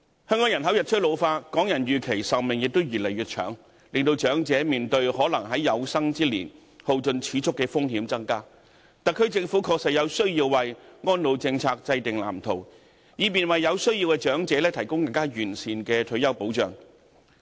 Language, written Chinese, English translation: Cantonese, 香港人口日趨老化，港人預期壽命亦越來越長，令長者面對可能在有生之年耗盡儲蓄的風險增加，特區政府確實有需要制訂安老政策藍圖，以便為有需要的長者提供更完善的退休保障。, Hong Kongs population is ageing and the life expectancy of Hong Kong people is growing longer . The risk of elderly people exhausting their savings within their lifetime is thus higher . It is indeed necessary for the Government to draw up a blueprint for an elderly care policy so as to provide the elderly with better retirement protection